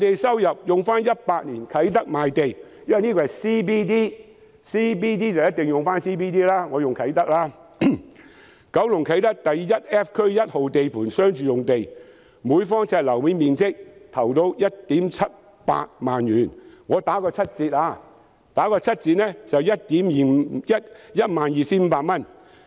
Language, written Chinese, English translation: Cantonese, 根據2018年的啟德賣地——因為這是 CBD， 所以我便用啟德作為參考——九龍啟德第 1F 區1號地盤商住用地，每平方呎的樓面面積投標價為 17,800 元，我打個七折，折算後是 12,500 元。, According to the sale of land at Kai Tak in 2018―since this is a CBD I have used Kai Tak as reference―for a residential - cum - commercial site at Site 1 Area 1F Kai Tak Kowloon the tendering price was 17,800 per sq ft of the floor area . I discount it by 30 % . The discounted amount is 12,500